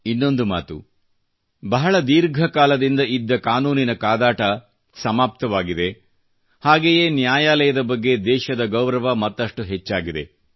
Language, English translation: Kannada, On the one hand, a protracted legal battle has finally come to an end, on the other hand, the respect for the judiciary has grown in the country